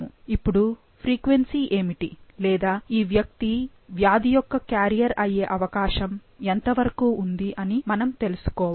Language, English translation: Telugu, Now, we need to know what is the frequency of, or what is the chance of this person to be carrier for the disease